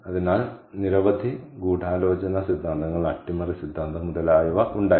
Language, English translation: Malayalam, so there were, there are several conspiracy theories, sabotage theory, etcetera, etcetera